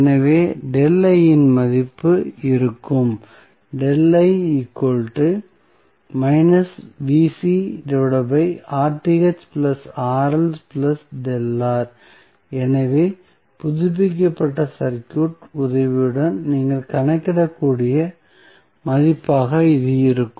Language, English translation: Tamil, So, this would be the value you can simply calculate with the help of the updated circuit